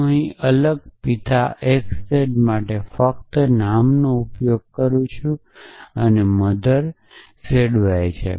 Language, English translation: Gujarati, So, I am just using different name such to be consistent here and mother z y